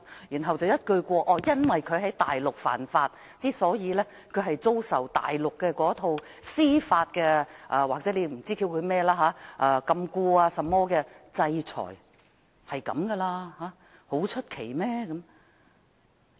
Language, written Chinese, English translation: Cantonese, 然後有人又斷言由於林榮基在大陸犯法，故他要遭受大陸那套所謂司法禁錮或制裁，屬正常不過的事，並沒有甚麼奇怪。, And then some people asserted that since LAM Wing - kee had broken the law on the Mainland his so - called judicial detention or sanction on the Mainland was nothing strange or perfectly normal